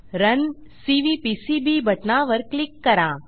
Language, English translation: Marathi, Click on the Run Cvpcb button